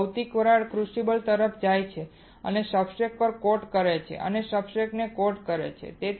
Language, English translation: Gujarati, Now the material vapors travels out to crucible and coat on the substrate and coat the substrate